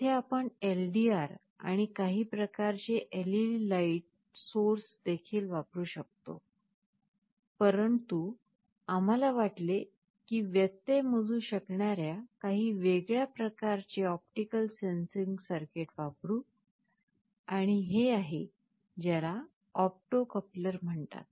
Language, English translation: Marathi, Here we could have used LDR and some kind of LED light source also, but we thought let us use some other kind of an optical sensing circuit, using which you can measure interruptions, and this is something which is called an opto coupler